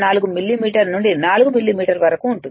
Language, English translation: Telugu, 4 millimetre to 4 millimetre depending on the power of the motor